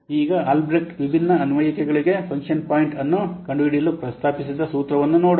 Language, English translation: Kannada, Now what we'll see that Albreast has proposed a formula for finding out the function point of different applications